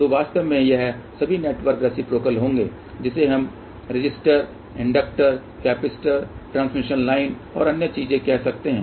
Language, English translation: Hindi, So in fact, all these networks will be reciprocal which have let us say resistor, inductor, capacitor, transmission line other thing